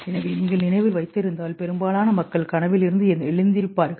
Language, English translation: Tamil, So if you remember most people wake up from dream